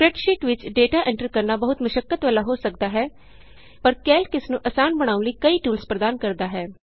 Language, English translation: Punjabi, Entering data into a spreadsheet can be very labor intensive, but Calc provides several tools for making it considerably easier